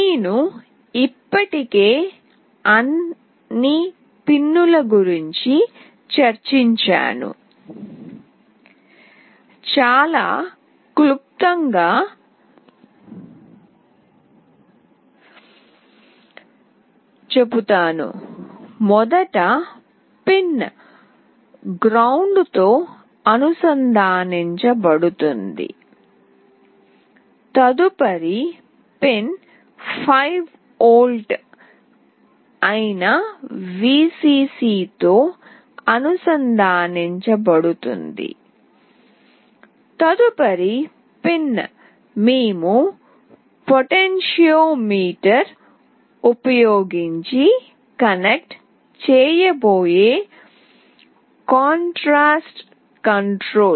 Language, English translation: Telugu, I have already discussed about all the pins, but let me very briefly tell that first pin will be connected with ground, the next pin will be connected with Vcc that is 5V, the next pin is the contrast control that we will be connecting using a potentiometer